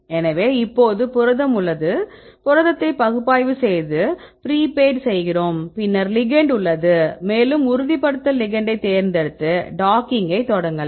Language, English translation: Tamil, So, now we have the protein, we analyze a protein and prepaid the protein, then we have the ligand, ligand also we have choose the confirmation ligand right then what we can do then you start docking